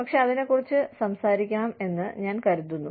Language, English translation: Malayalam, But, I think, we should talk about it, a little bit